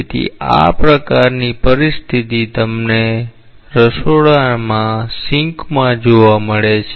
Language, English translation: Gujarati, So, this kind of a situation you get in a kitchen sink